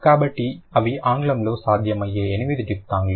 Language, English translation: Telugu, So, these are the eight possible diphthongs in English